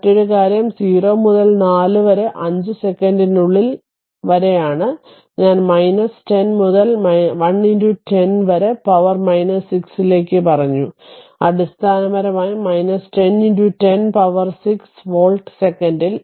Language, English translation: Malayalam, And another thing is in between 0 to your, what you call in between 4 to 5 second, I told you minus 10 by 1 into 10 to the power minus 6, so basically minus 10 into 10 to the power 6 volt per second right